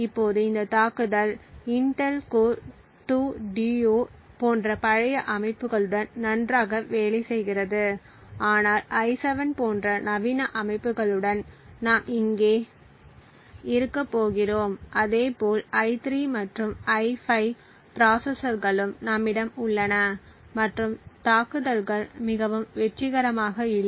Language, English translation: Tamil, Now this attack works very well with the older systems like the Intel Core 2 Duo and so on but with modern systems like the i7 like we are going to have here as well as the i3 and i5 processors the attacks are not very successful